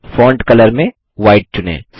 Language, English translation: Hindi, In Font color choose White